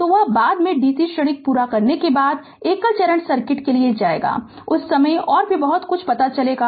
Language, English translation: Hindi, So, that is later that is your after completing dc transient, we will go for single phases circuit at that time will know much more right